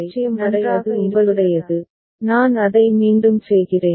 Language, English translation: Tamil, 1 to 0 right that is your, I am doing it once more again